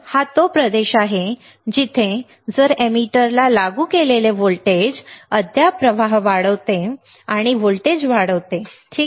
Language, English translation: Marathi, This is the region where if the applied voltage to the emitter still increases the current and the voltage will rise, all right